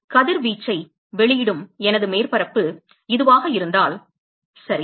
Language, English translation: Tamil, If this is my surface which is emitting radiation ok